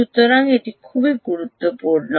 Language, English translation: Bengali, so that is a very critical problem